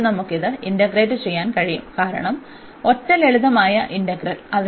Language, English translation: Malayalam, And now we can integrate this as well because the single simple integral